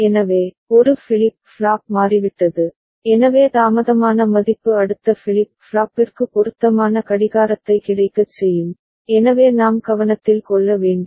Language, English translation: Tamil, So, a flip flop has changed, so after that the delayed value will make the appropriate clocking available to the next flip flop ok, so that we need to take note of